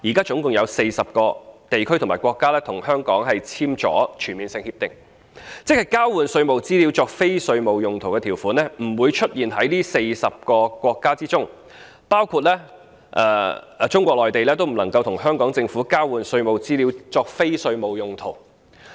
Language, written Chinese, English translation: Cantonese, 現時共有40個地區或國家與香港簽訂了全面性協定，即交換稅務資料作非稅務用途的條款不會出現在這40個國家當中，包括中國內地也不能與香港政府交換稅務資料作非稅務用途。, There are presently 40 regions or countries in total with which Hong Kong has entered into CDTAs which means no provision regarding the use of the exchanged tax information for non - tax related purposes was made in the agreements with these 40 countries and regions―including Mainland China which cannot use the exchanged tax information from the Government of Hong Kong for non - tax related purposes